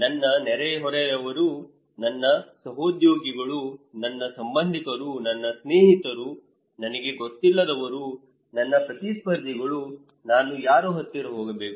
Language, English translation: Kannada, My neighbour, my co workers, my relatives, my friends, those I do not know, my competitors, whom should I go